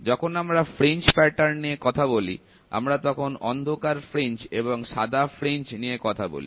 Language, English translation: Bengali, So, when we talk about fringe patterns, we say dark fringe white fringe